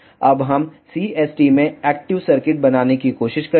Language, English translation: Hindi, Now, we will try to make active circuits in CST